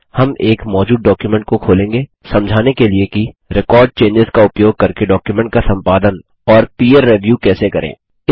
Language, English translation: Hindi, We will open an existing document to explain how to peer review and edit a document using Record Changes option